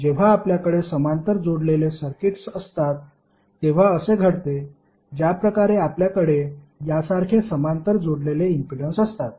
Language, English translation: Marathi, This happens specifically when you have parallel connected circuits like if you have impedance connected in parallel like this